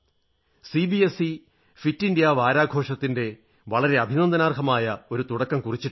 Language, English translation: Malayalam, CBSE has taken a commendable initiative of introducing the concept of 'Fit India week'